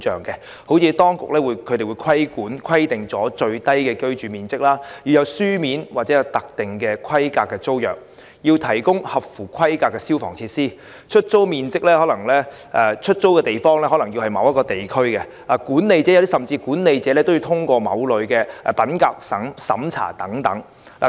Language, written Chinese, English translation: Cantonese, 舉例而言，當局會規定最小的居住面積、有書面及特定規格的租約、提供合乎規格的消防設備、出租住所位於特定地區，甚至管理者也要通過某類品格審查。, For example the authorities will stipulate the minimum living area the signing of a written tenancy agreement in a specific format the provision of eligible fire service installations the designated locations of rented premises and even certain integrity checks on administrators